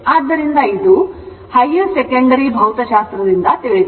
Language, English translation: Kannada, So, this is from your higher secondary physics